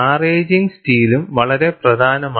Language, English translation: Malayalam, Maraging steel is also very important